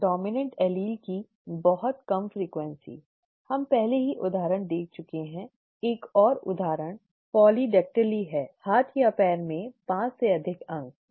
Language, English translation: Hindi, Very low frequency of the dominant allele, we have already seen the example, one more example is polydactyly, more than 5 digits in hand or a foot, okay